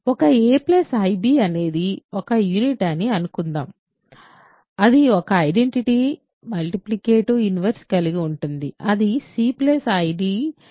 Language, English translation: Telugu, Suppose a plus ib is a unit that means, it has an identity multiplicative inverse call it c plus d plus id